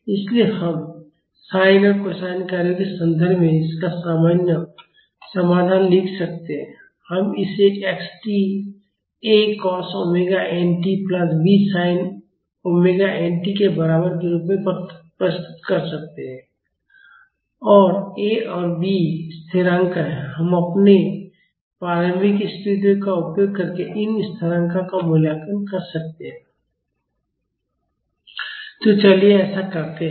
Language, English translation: Hindi, So, we can write the general solution of this in terms of sine and cosine functions, we can represent it as x t is equal to A cos omega n t plus B sin omega n t and A and B are constants we can evaluate these constants using our initial conditions